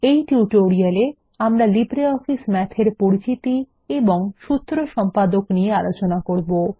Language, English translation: Bengali, In this tutorial, we will cover Introduction and Formula Editor of LibreOffice Math